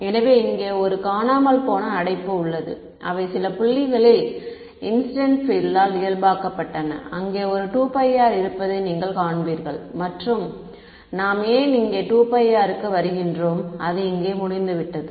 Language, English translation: Tamil, So, there is a missing bracket here all right at some point normalized by the incident field at the origin ok; and you will see there is a 2 pi r over here and we will we will come to why the 2 pi r is over there ok